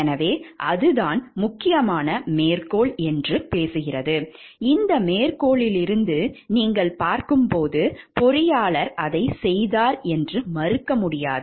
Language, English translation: Tamil, So, that is the important quote from there which talks of that the as you see from this quote like the engineer simply cannot say deny that he did it